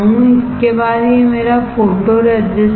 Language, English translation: Hindi, After this, this is what my photoresist